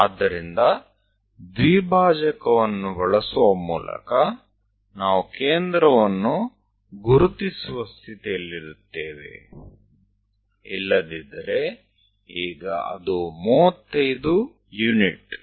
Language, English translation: Kannada, So, by using bisector, we will be in a position to really identify center; otherwise now it is a 35 units